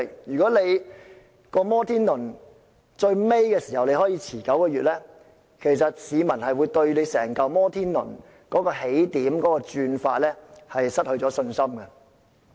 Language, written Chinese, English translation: Cantonese, 如果"摩天輪"在年度終結時可以延遲9個月，其實會令市民對整個"摩天輪"的起點或運轉方式失去信心。, If the Ferris wheel can be delayed for nine months in the clearing of accounts after the close of the financial year the public will lose their confidence in the Ferris wheel in terms of its starting point and mode of operation